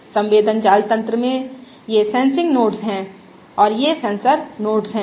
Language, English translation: Hindi, these are the sensing nodes and these are the Sensor nodes